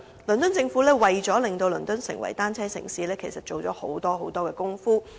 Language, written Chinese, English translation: Cantonese, 倫敦政府為了令倫敦成為單車友善城市，其實下了很多工夫。, Actually the London Government has made enormous efforts to turn London into a bicycle - friendly city